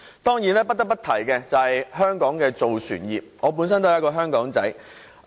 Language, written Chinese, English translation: Cantonese, 當然，不得不提的是香港的造船業，我本身也是一名"香港仔"。, Certainly the case of the shipbuilding industry must be mentioned . I am a Hongkonger